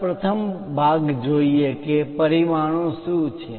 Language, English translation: Gujarati, Let us look at the first part what are dimensions